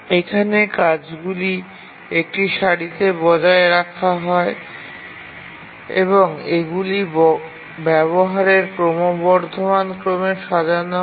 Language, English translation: Bengali, Here the tasks are maintained in a queue and these are arranged in the increasing order of their utilization